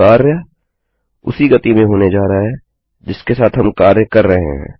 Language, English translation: Hindi, The action is going to be in the same pace that were working with